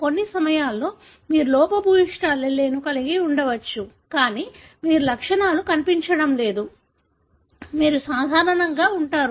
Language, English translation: Telugu, At times, you may have the defective allele, but you are not showing the symptoms, you are normal